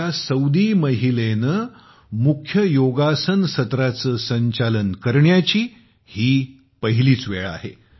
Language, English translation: Marathi, This is the first time a Saudi woman has instructed a main yoga session